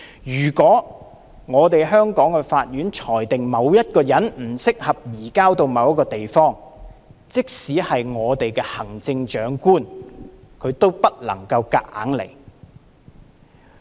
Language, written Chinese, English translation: Cantonese, 如果香港法院裁定某人不適合移交到某一個地方，即使行政長官也不能夠勉強行事。, If a Hong Kong court rules that a person is not suitable to be surrendered to another place even the Chief Executive cannot force the court to surrender the person in question